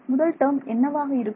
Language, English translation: Tamil, So, what will the first term be